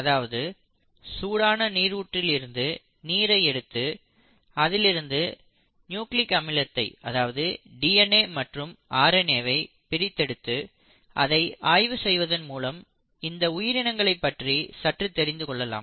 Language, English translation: Tamil, So if you take a hot water spring water and try to isolate nucleic acids which is DNA and RNA from there, and study it, you kind of get an insight into how these organisms are and what they are capable of